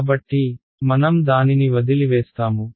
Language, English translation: Telugu, So, that is what we will leave in